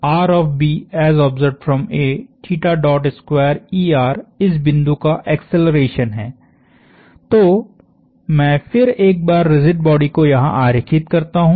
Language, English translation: Hindi, So, the acceleration of this point, so let me redraw the rigid body here once more